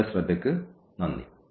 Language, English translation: Malayalam, Thank you for your attention